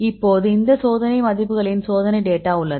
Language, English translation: Tamil, So, now we have these experimental values experimental data